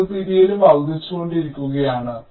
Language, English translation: Malayalam, ok, the separation is also increasing